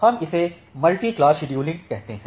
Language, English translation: Hindi, So, that we call as the multi class scheduling